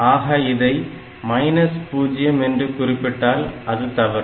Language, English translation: Tamil, And if the answer is 0, that means they are same